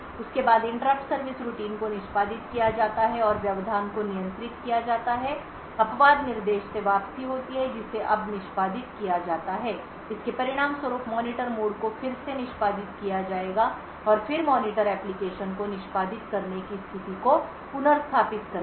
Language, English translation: Hindi, After that interrupt service routine is executed and the interrupt gets handled there is a return from exception instruction that gets executed now this would result in the Monitor mode getting executed again and then the monitor would restore the state of the application that is executing